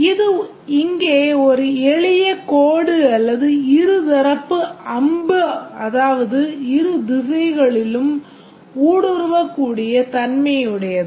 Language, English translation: Tamil, If it is a simple line here or a bidirectional arrow, the navigability is on both directions